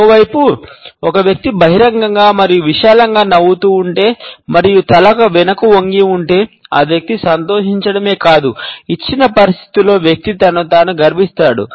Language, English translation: Telugu, On the other hand, if a person is smiling openly and broadly and the head was backward tilt then the person is not only pleased, but the person is also proud of oneself in the given situation